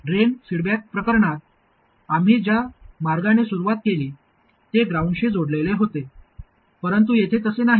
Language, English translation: Marathi, In the drain feedback case, the way we started off it was connected to ground but here it is not